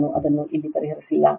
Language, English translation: Kannada, I have not solved it here